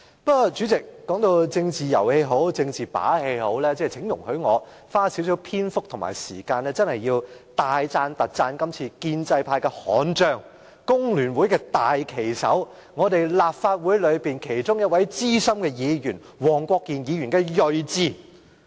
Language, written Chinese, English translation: Cantonese, 不過，無論政治是遊戲也好，是把戲也罷，請容許我花少許時間，大讚特讚今次建制派的悍將、工聯會的大旗手、立法會的一位資深議員——黃國健議員——的睿智。, However whether politics is a game or a trick allow me to spend a few minutes to highly praise Mr WONG Kwok - kin―an unyielding fighter from the pro - establishment camp the standard - bearer of The Hong Kong Federation of Trade Unions FTU and a senior Member of the Legislative Council―for his wisdom